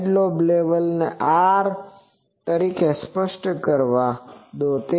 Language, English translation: Gujarati, So, let the side lobe level be specified as R